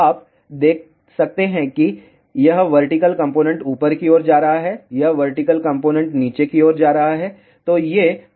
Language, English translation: Hindi, You can see that this vertical component is going upward, this vertical component is going downward